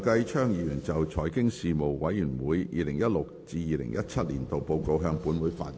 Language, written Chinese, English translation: Cantonese, 梁繼昌議員就"財經事務委員會 2016-2017 年度報告"向本會發言。, Mr Kenneth LEUNG will address the Council on the Report of the Panel on Financial Affairs 2016 - 2017